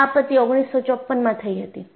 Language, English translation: Gujarati, This happened in 1954